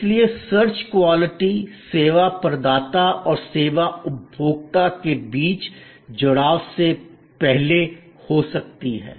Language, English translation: Hindi, Now, search quality therefore can happen prior to the engagement between the service provider and the service seeker of the service consumer